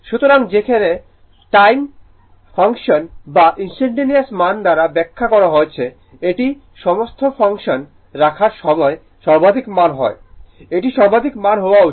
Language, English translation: Bengali, So, whereas, as time function or instantaneous values as explained it is maximum value when you are putting in time function, it should be maximum values